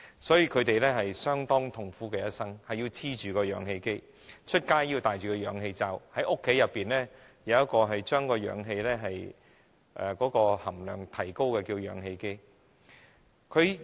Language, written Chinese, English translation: Cantonese, 所以，他們的一生相當痛苦，不能離開氧氣機，出外要戴着氧氣罩，在家則要有一個可提高氧氣含量的氧氣機。, Therefore they are now living a rather painful life and they cannot live without an oxygen concentrator . They need to wear an oxygen mask when going out and need to turn on an oxygen concentrator at home in order to increase the oxygen level in their lungs